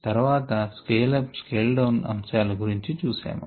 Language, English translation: Telugu, then we looked at some aspects of scale up and scale down